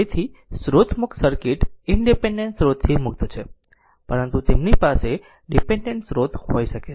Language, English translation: Gujarati, So, source free circuits are free of independent sources, but they may have dependent sources